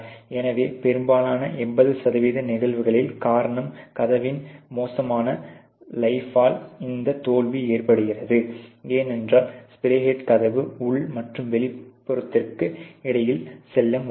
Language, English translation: Tamil, So, therefore, in most 80 percent of the cases the reason why this failure of the deteriorated life of the door occurs is, because the spray head is not able to go as far into between the door inner and outer ok